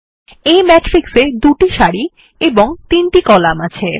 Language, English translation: Bengali, This matrix has 2 rows and 3 columns